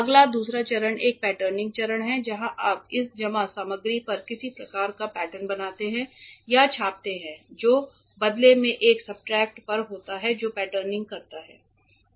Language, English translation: Hindi, Next the second step is a patterning step where you make or imprint some kind of pattern on this deposited material which is in turn on a substrate that does the patterning